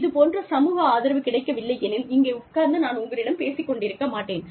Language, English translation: Tamil, If, i did not have this social support, i would not have been sitting here, and talking to you, i am telling you